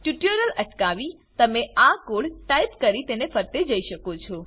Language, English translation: Gujarati, You can pause the tutorial, and type the code as we go through it